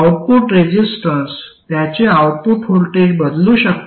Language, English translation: Marathi, The output voltage should be equal to the input voltage